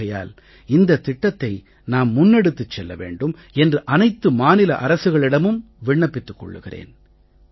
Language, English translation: Tamil, And I will request the state governments to take this forward